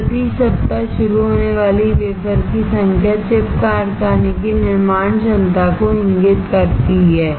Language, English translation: Hindi, So, number of wafer starts per week indicates the manufacturing capacity of the chip factory